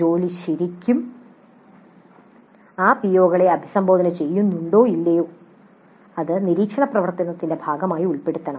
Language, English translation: Malayalam, Whether the work is really addressing those POs or not, that must be included as a part of the monitoring activity